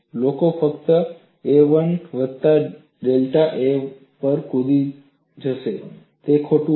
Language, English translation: Gujarati, People would simply jump to a 1 plus delta a 1; it is wrong